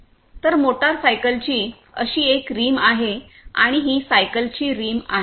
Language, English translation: Marathi, So, this is one such rim of a motor cycle, and this is the rim of a bicycle